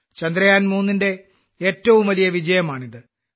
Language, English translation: Malayalam, This is the biggest success of Chandrayaan3